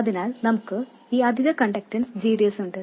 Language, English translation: Malayalam, So, we have this additional conductance GDS